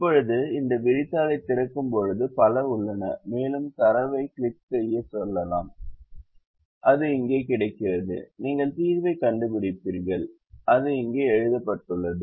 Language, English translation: Tamil, now, when we open this spreadsheet, there are several ah and we can go to click on data that is available here and you you find the solver that is written here